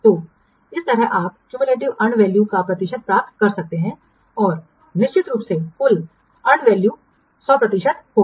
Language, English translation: Hindi, So in this way you can get the percentage of cumulative and value and of course finally the total and value will be 100%